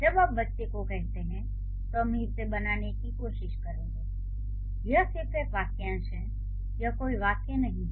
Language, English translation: Hindi, So, when you say the child'll try to build, this is just a phrase, this is not a sentence